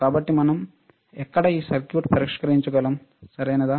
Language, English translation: Telugu, So, where we can test this circuit, right